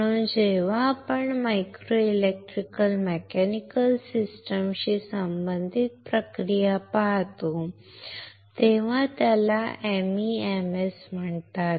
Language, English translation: Marathi, So, we when we do a process which is related to micro electro mechanical systems it is called MEMS